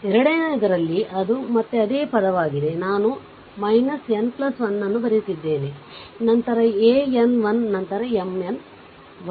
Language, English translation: Kannada, Just hold on, right so, in second one it is again the same term, I am writing minus n plus 1, then a n 1 then M n 1, right